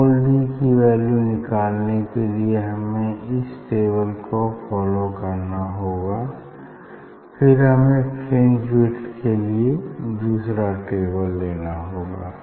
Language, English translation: Hindi, for finding out the small d this table we have to follow and then next we will go for the second table; that data for fringe width